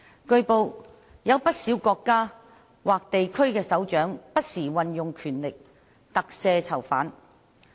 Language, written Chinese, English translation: Cantonese, 據報，有不少國家或地區的首長不時運用權力特赦囚犯。, It has been reported that quite a number of heads of states or regions exercise from time to time their powers to pardon prisoners